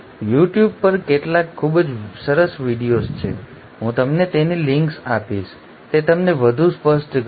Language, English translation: Gujarati, There are some very nice videos on you tube, I will give you links to those, it will make it even clearer to you